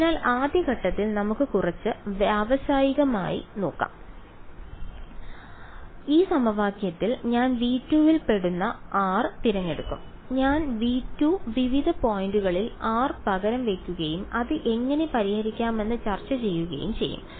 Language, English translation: Malayalam, So we will let us let us look at little bit systematically in the first step, I will choose r belonging to v 2 for in this equation I will substitute r belonging to v 2 various points and solve it which we will discuss how to solve